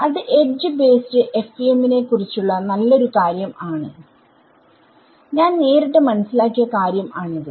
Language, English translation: Malayalam, So, that is another nice part about the edge base FEM that I got straight away this thing